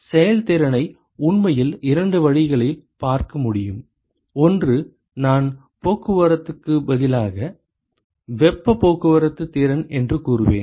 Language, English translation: Tamil, The efficiency can actually be looked at in two ways: one is the I would say transport rather heat transport efficiency